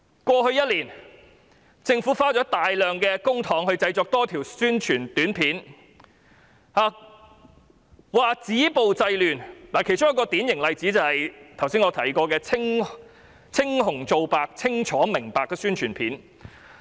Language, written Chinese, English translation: Cantonese, 過去一年，政府花了大量公帑製作多條宣傳短片，說要止暴制亂，其中一個典型例子就是我剛才提過的"青紅皂白清楚明白"宣傳片。, In the past year the Government had spent a lot of public money to produce a number of APIs with a view to stop violence and curb disorder . A typical example is the API entitled See the clear picture as I mentioned just now